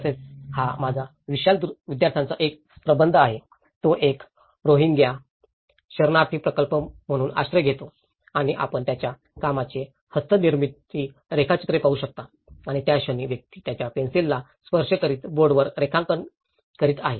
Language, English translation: Marathi, And also, this is one of the thesis of Vishal, one of my students and he developed a Rohingyaís refugees, sheltered as a project and you can see the handmade drawings of his work and the moment person is touching his pencil and drawing on the board, it will give him more time to think about the details he is working